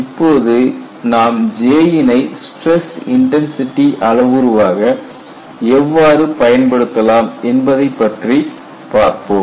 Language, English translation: Tamil, So, now what we will do is, we will go and see how J can be used as a stress intensity parameter